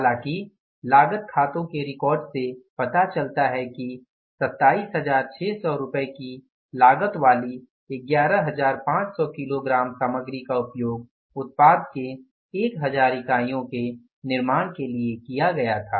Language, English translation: Hindi, The cost accounts records however reveal that 11,500 of material costing rupees 27,600 were used for manufacturing 1,000 units of the product X